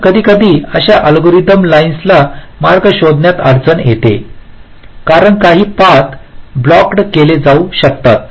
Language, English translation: Marathi, so there, sometimes the line such algorithm may find difficulty in finding a path because some of the paths may be blocked